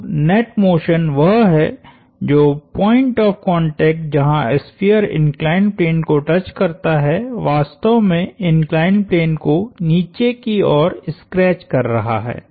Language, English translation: Hindi, So, the net motion is that, the point of contact, where the sphere touches the inclined plane is actually scratching the inclined plane in a downward sense